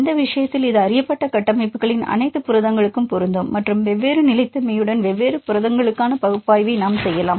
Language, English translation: Tamil, In this case it can be applicable to all the proteins of known structures and we can do the analysis for the different proteins with different stabilities